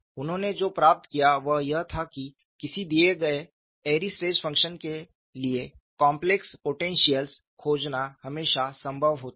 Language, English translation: Hindi, What he obtained was it is always possible to find complex potentials to a given Airy's stress function